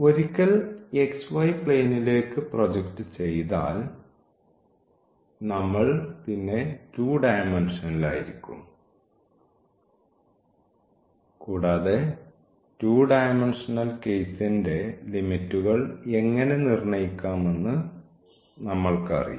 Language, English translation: Malayalam, And, once we project to the xy plane we are in the 2 dimensions and we know how to fix the limit for 2 dimensional case